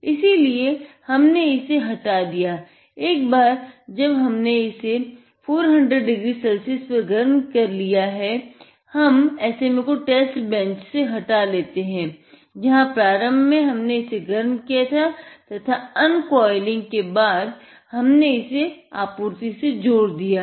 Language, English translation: Hindi, So, here we have removed it, once we have heated it up to 400 degree Celsius, next what we do is, we have it here; the SMA is removed from the test bench or the table where we had you initially just heated it